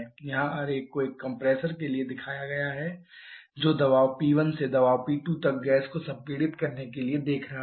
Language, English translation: Hindi, Here the diagram is shown for a compressor which is looking to expand or sorry compress the gas from pressure P 1 to pressure P 2